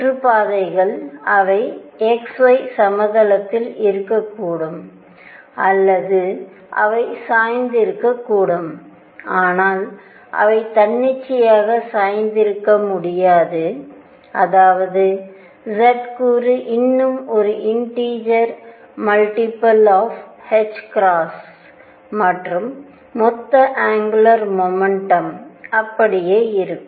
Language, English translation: Tamil, That the orbits are such that they could be either in the x y plane or they could be tilted, but they cannot be tilted arbitrarily they would be tilted such that the z component is still an integer multiple of h cross and the total angular momentum remains the same